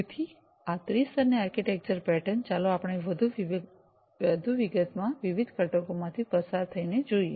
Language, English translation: Gujarati, So, this three tier architecture pattern let us go through the different components, in further more detail